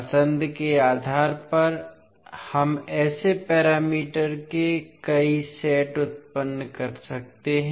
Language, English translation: Hindi, So based on the choice we can generate many sets of such parameters